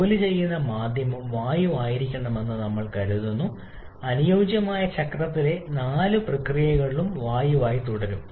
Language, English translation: Malayalam, As we are assuming the working medium to be air and it is continuous to be air during all the four processes in the ideal cycle